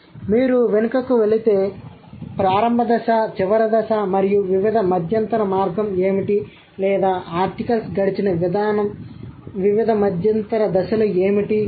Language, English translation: Telugu, So if you go back the initial stage and the final stage and what are the different intermediate path or what are the different intermediate stages that the articles have been through